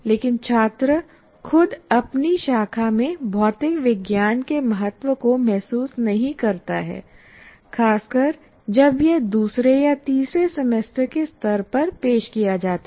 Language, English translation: Hindi, But the student himself doesn't feel the importance of material science in his branch, especially when it is offered at second or third semester level